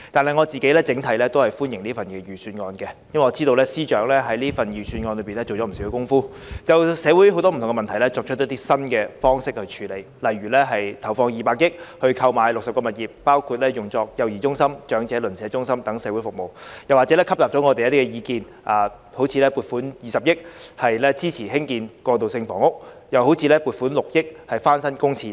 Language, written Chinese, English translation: Cantonese, 不過，整體而言，我個人仍歡迎這份預算案，因為我知道司長在預算案中下了不少工夫，就不同的社會問題提出新的處理方式，例如投放200億元購買60項物業，用作幼兒中心和長者鄰舍中心等社會服務，以及吸納了我們的建議，撥款20億元支持興建過渡性房屋，並撥款6億元翻新公廁等。, Nevertheless I still welcome this Budget in general because I know that the Financial Secretary has put plenty of efforts in it with new options proposed for different social problems . For example 20 billion is allocated for the purchase of 60 properties for providing social services such as day childcare centres and neighbourhood elderly centres; and on our proposal 2 billion is allocated to support the construction of transitional housing and 600 million to refurbish public toilets